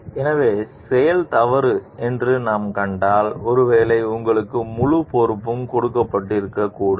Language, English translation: Tamil, So, if we find like the act is wrong maybe, you should not have been given the full responsibility